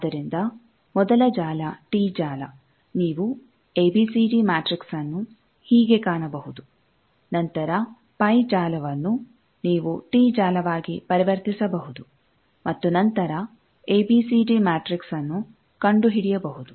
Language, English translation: Kannada, So, the first network tee network you can find the ABCD matrix to be this, then the pie network that either you can convert to tee network and then find the ABCD matrix